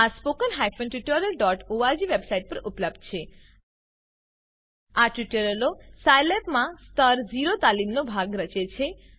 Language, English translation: Gujarati, These are available at spoken tutorial.org website These tutorials form a part of Level 0 training in Scilab